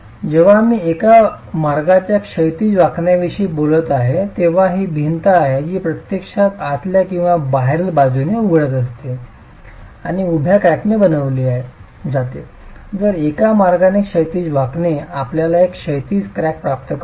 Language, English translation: Marathi, When I'm talking of one way horizontal bending it's the wall which is actually opening inwards or outwards with a vertical crack that is formed, whereas in the one way horizontal bending you get a horizontal crack